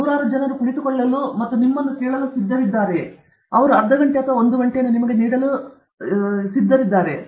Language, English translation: Kannada, Are hundred people ready to sit down and listen to you; will they give that half an hour or one hour to you